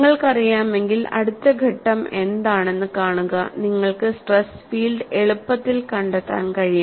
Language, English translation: Malayalam, Once you know, see, what is the next step, you can easily find out the stress field